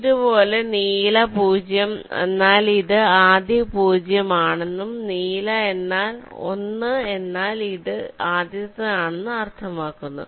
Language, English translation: Malayalam, similarly, blue zero means this is the first zero and blue one means this is the ah